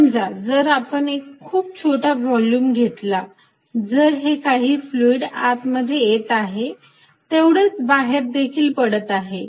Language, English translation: Marathi, So, let us see if I take a volume small volume here, if whatever that fluid is coming in whatever is leaving is equal